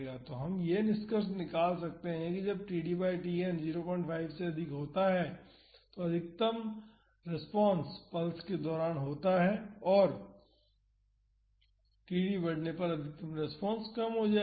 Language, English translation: Hindi, So, we have seen that when this td by Tn is less than half, the maximum response occurs after the pulse ends that is the maximum response is during the free vibration